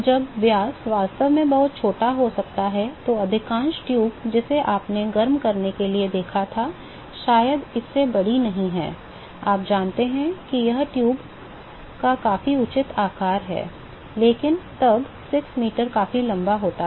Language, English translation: Hindi, When the diameter may be very small in fact, most of the tube that you saw for heating up probably not bigger than this, you know this is the pretty reasonable size dais of the tube, but then 6 meter is pretty long